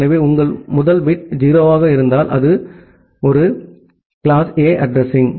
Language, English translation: Tamil, So, if your first bit is 0, then it is a class A address